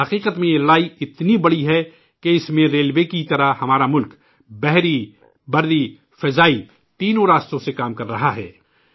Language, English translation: Urdu, In fact, this battle is so big… that in this like the railways our country is working through all the three ways water, land, sky